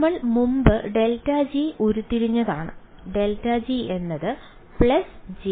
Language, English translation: Malayalam, We have derived grad g previously grad g is a plus j k by 4 H 1 2 right